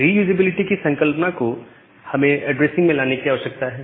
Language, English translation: Hindi, So, that concept of reusability we need to bring in to the addressing concept